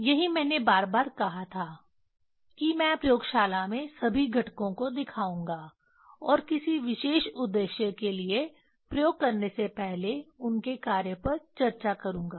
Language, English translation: Hindi, That is what I told this time to time I will show all the components in the laboratory and discuss the function of them before performing experiment for a particular objective